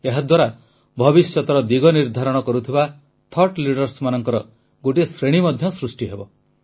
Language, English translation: Odia, This will also prepare a category of thought leaders that will decide the course of the future